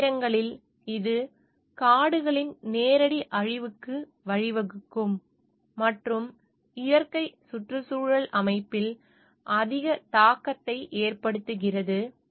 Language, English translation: Tamil, Sometimes, it lead to direct destruction of the forest and like have a which has a greater impact on the natural ecosystem